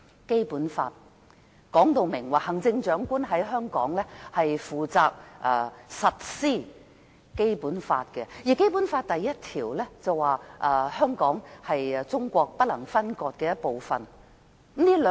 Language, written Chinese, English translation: Cantonese, 《基本法》說明行政長官負責在香港實施《基本法》，而《基本法》第一條訂明，香港是中國不能分割的一部分。, Basic Law explains that the Chief Executive is responsible for implementing Basic Law in Hong Kong and Article 1 of the Basic Law states that Hong Kong is an inalienable part of China